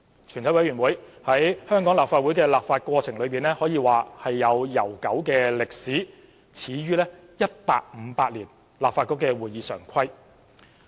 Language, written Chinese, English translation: Cantonese, 全委會在香港立法會的立法過程中有悠久的歷史，始於1858年立法局的《會議常規》。, Having a long history in the legislative process of the Legislative Council a committee of the whole Council originated from the 1858 Standing Orders of the Legislative Council